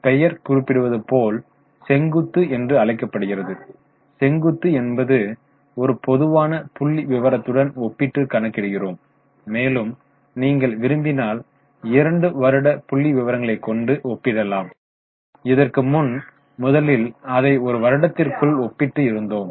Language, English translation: Tamil, And for vertical as the name suggests it is vertical because to a common base we compare and calculate the figures and then if we want we can compare the two years figures but first we will compare it within the year